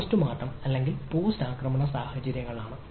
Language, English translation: Malayalam, so these are post mortem or post attack scenarios